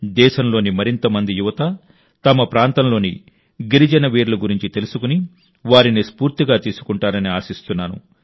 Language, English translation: Telugu, I hope that more and more youth of the country will know about the tribal personalities of their region and derive inspiration from them